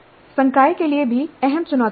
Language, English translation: Hindi, And there are key challenges for faculty also